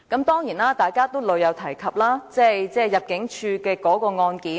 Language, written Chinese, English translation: Cantonese, 當然，大家均屢次提及有關一名入境事務主任的案件。, Certainly Members have repeatedly mentioned the case of an Immigration Officer